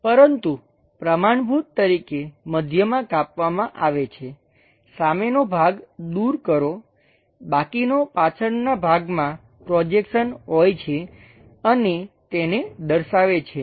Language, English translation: Gujarati, But standard convention is have cut section at middle, remove the front part, the left over back side part, have projections and visualize it